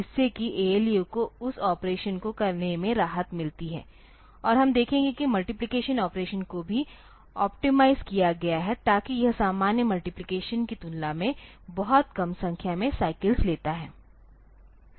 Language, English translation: Hindi, So, that, so, that way the ALU is relieved from doing that operation and we will see that multiplication operation is has also been optimized so that the it takes much less number of cycles compared to normal multiplication